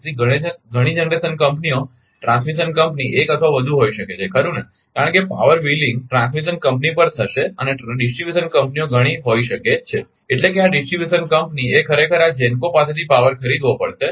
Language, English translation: Gujarati, So, many generation companies transmission company may be 1 or more right, because power wheeling will take place to the transmission company and distribution companies may be many that means, this distribution company actually has to buy power from this GENCO